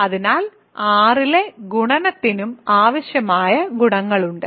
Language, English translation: Malayalam, So, the multiplication on R also has the required properties